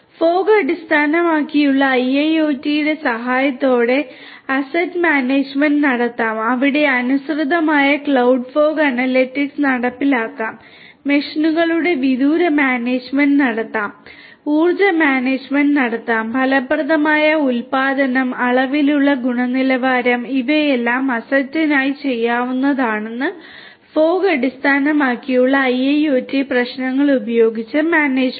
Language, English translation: Malayalam, Asset management can be done with the help of fog based IIoT, where compliant cloud fog analytics can be executed, remote management of machines can be done, energy management can be done, effective production, you know quality with quantity all of these can be done for asset management using fog based IIoT solution, for fog based IIoT problems